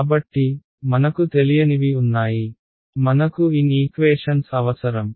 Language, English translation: Telugu, So, you there are n unknowns I need n equations right